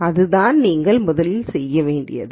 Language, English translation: Tamil, So, that is the first thing to do